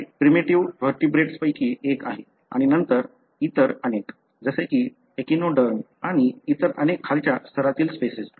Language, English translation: Marathi, This is one of the primitive vertebrates and then many other, like for example echinoderm, and many other lower species